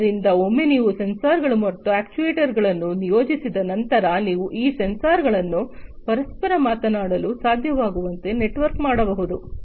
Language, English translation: Kannada, So, once you have deployed the sensors and actuators you can have these sensors being networked to be able to talk to each other